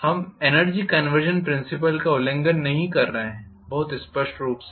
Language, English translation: Hindi, We are not violating energy conservation principle, very clearly